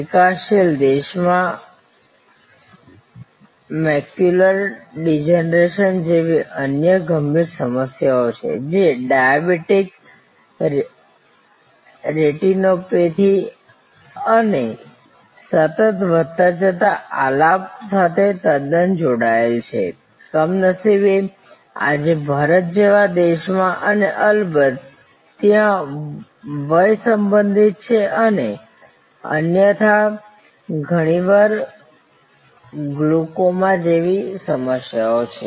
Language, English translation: Gujarati, In developing countries, there are other critical raising problems like macular degeneration, which is quite connected to diabetic retinopathy and ever increasing melody, unfortunately in a country like India today and of course, there are age related and otherwise often occurring problem like glaucoma and so on